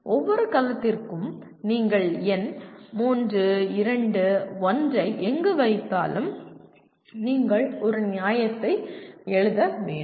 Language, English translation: Tamil, For each cell wherever you put this number 3, 2, 1 you have to give a you have to write a justification